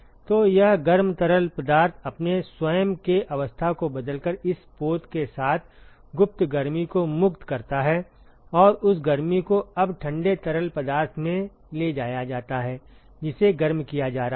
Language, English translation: Hindi, So, the hot fluid it liberates the latent heat with this vessel by changing its own phase, and that heat is now transported to the cold fluid which is being heated up